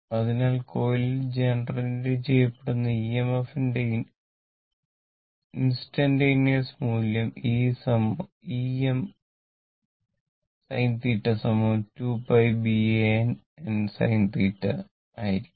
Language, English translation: Malayalam, So, and instantaneous value of EMF generated in the coil will be then e is equal to E m sin theta right is equal to 2 pi B A capital N small n into sin theta volts, right